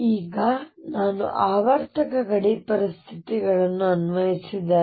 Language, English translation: Kannada, Now, if I applied the periodic boundary conditions here